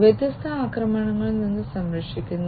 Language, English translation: Malayalam, Protecting against different attacks, different attacks